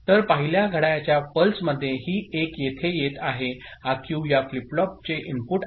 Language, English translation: Marathi, So, in the first clock pulse this 1 will be coming over here, this Q is the input to this flip flop ok